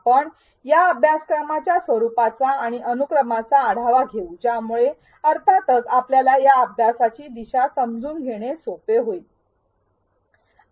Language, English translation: Marathi, We will also take you through the format and sequence of this course which will make it easy for you to navigate through the course